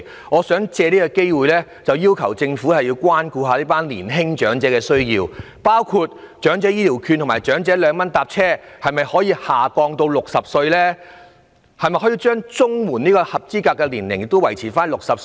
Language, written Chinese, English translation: Cantonese, 我想借此機會要求政府關顧一下年輕長者的需要，包括可否把長者醫療券及長者兩元乘車優惠的合資格年齡下調至60歲？, I would also take this opportunity to ask the Government to address the needs of young elders with measures such as lowering the eligible age for EHV Scheme and the public transport services scheme at a concessionary fare of 2 per trip to 60